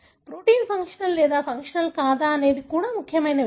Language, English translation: Telugu, It is also whether the protein is functional or not functional